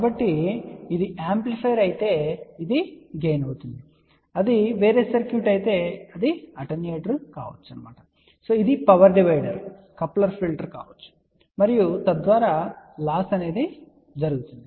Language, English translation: Telugu, So, if it is an amplifier it will be again if it is some other circuit, it can be attenuator, it can be a power divider, coupler, filter and so on that will be then loss